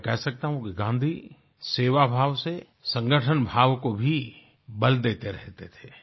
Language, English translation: Hindi, I can say that Gandhi emphasized on the spirit of collectiveness through a sense of service